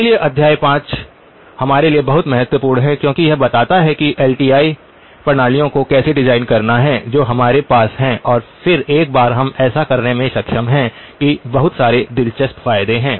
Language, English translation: Hindi, So chapter 5 very important for us because that tells us how to design LTI systems to the requirements that we have and then once we are able to do that there are lots of interesting advantages